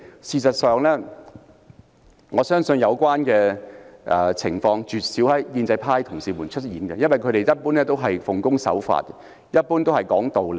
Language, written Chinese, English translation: Cantonese, 事實上，我相信有關情況絕少發生在建制派同事身上，因為他們一般是奉公守法和講道理的。, As a matter of fact I am sure that colleagues of the pro - establishment camp being law - abiding and reasonable in general would rarely find themselves in such a situation